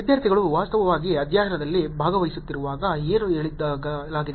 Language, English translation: Kannada, What was stated when the students were actually participating in the study